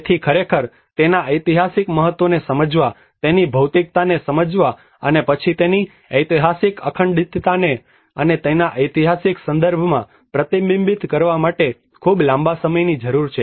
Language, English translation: Gujarati, So it needs a very longer time to actually understand its historical significance, understand its materiality and then reflect back with its historic integrity and within its historic context